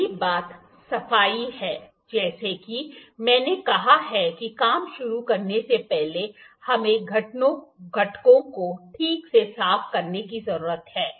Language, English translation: Hindi, The first thing is cleaning as I said we need to clean the components properly before we start working